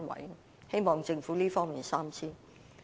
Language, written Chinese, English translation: Cantonese, 我希望政府在這方面三思。, I hope the Government will consider this more thoroughly